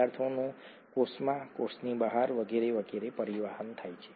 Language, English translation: Gujarati, There is transport of substances into the cell, out of the cell and so on and so forth